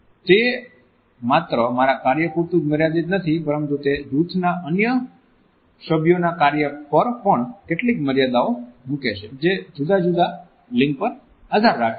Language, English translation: Gujarati, So, it constricts not only my performance, but it also puts certain under constraints on the performance of other team members also who may belong to different genders